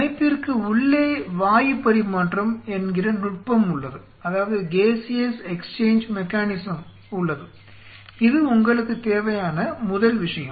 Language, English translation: Tamil, There is something called they have a mechanism of gaseous exchange inside the system very first thing you needed